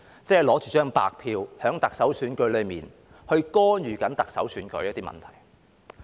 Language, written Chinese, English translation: Cantonese, 即是拿着白票在特首選舉中干預特首選舉的一些問題。, It means interfering with the Chief Executive election with blank votes